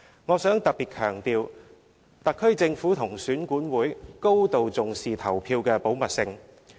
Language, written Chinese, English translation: Cantonese, 我想特別強調，特區政府及選管會高度重視投票的保密性。, I would like to specially highlight that the SAR Government and EAC attach great importance to the confidentiality in voting